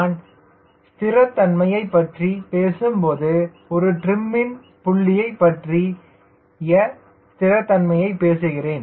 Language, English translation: Tamil, when i am talking about stability, i am talking about stability, about a trim point